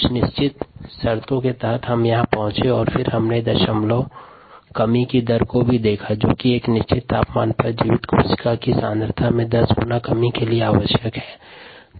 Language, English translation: Hindi, so this is what we arrived at, and then we also looked at something called a decimal reduction rate, which is the time that is required for a ten fold decrease in viable cell concentration at a given temperature